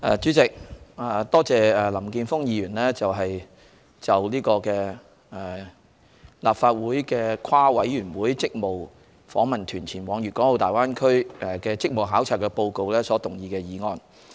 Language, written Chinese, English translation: Cantonese, 主席，我多謝林健鋒議員就立法會跨事務委員會職務訪問團前往粵港澳大灣區的職務考察報告所動議的議案。, President I wish to thank Mr Jeffrey LAM for moving the motion on the Report of the Legislative Councils joint - Panel delegation on its duty visit to the Guangdong - Hong Kong - Macao Greater Bay Area